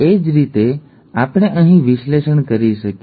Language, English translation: Gujarati, Similarly we can do an analysis here